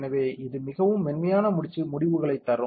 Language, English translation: Tamil, So, this will give a very smooth results ok